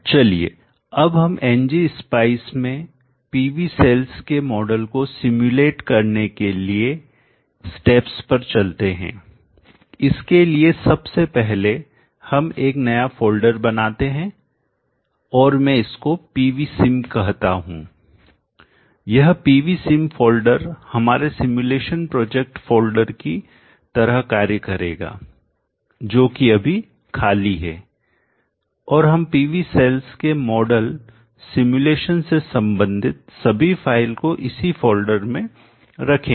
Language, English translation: Hindi, Let us now go through the steps in simulating a model for PV cells in ng spice for that first let us create a new folder and it may call it as PV sim and this folder PV sim will act as our simulation project folder it is right now empty and into this all the files related to simulating the model of a PV cell will be placed